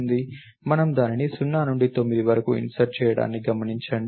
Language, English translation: Telugu, So, notice that we insert it from 0 through 9